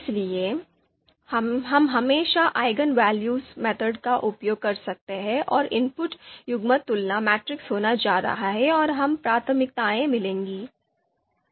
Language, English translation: Hindi, So we can always use eigenvalues method and the input is going to be the you know the comparison pairwise comparison matrix and we will get the priorities